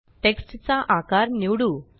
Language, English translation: Marathi, Let us choose the size of the text